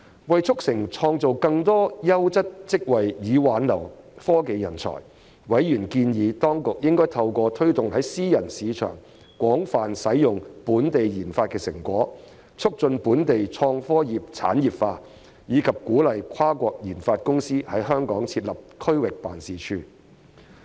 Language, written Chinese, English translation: Cantonese, 為促成創造更多優質職位以挽留科技人才，委員建議當局應透過推動在私人市場廣泛使用本地研發成果，促進本地創科業產業化，以及鼓勵跨國研發公司在港設立區域辦事處。, In order to facilitate the creation of more quality jobs to retain technology talents members suggested that the authorities should promote the industrialization of local innovation and technology industry by way of promoting the extensive use of local research and development outcomes in the private market and incentivize multinational research and development corporations to set up regional offices in Hong Kong